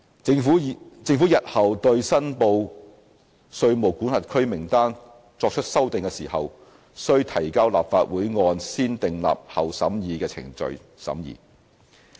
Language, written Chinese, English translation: Cantonese, 政府日後對申報稅務管轄區名單作出修訂時，須提交立法會按"先訂立後審議"的程序審議。, Any amendment by the Government to the list of reportable jurisdictions in future is subject to negative vetting by the Legislative Council